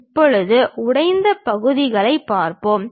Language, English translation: Tamil, Now, let us look at broken out sections